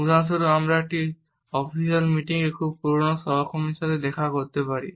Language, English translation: Bengali, For example, we may come across a very old colleague in an official meeting